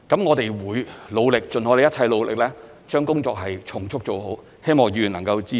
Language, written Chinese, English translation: Cantonese, 我們會努力，盡我們一切努力，將工作從速做好，希望議員能夠支持。, We will make every effort and try our best to complete the work as soon as possible . I hope Members will give us support